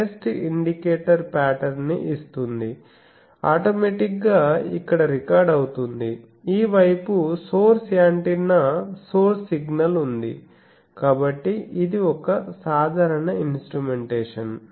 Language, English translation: Telugu, So, test indicator is giving in the pattern is getting recorded here automatically this side is source antenna source signal etc, so this is a typical instrumentation